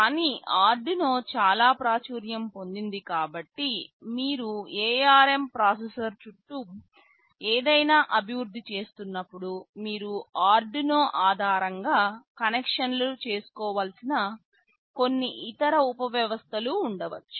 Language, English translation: Telugu, But, because Arduino is so popular when you are developing something around an ARM processor, it may so happen there may be some other subsystems with which you have to make connections that are based on Arduino